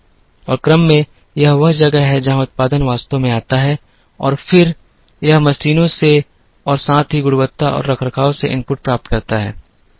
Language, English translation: Hindi, And in order, this is where the production actually comes and then, this gets inputs from machines as well as quality and from maintenance